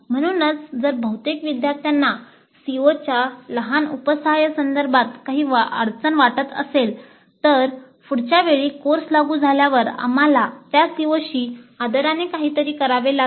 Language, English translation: Marathi, So if most of the students feel certain difficulty with respect to a small subset of COs, then we may have to do something with respect to those COs the next time the course is implemented